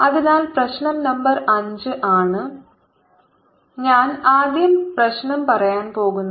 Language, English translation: Malayalam, so the problem num [ber] five is: i am going to state the problem first